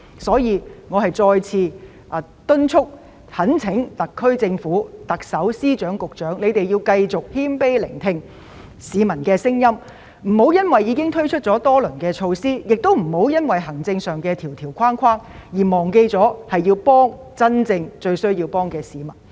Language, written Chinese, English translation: Cantonese, 所以，我再次敦促及懇請特區政府、特首、司長及局長，請繼續謙卑聆聽市民的聲音，不要因為已經推出多輪措施，也不要礙於行政上的框條而忘記應該幫助真正需要幫助的市民。, Therefore I once again urge and implore the SAR Government the Chief Executive Secretaries of Departments and Directors of Bureaux to continue to listen humbly to the voices of the public . Even though a few rounds of relief measures have been introduced they should not be complacent and should not be bound by administrative rules to stop helping people who are really in need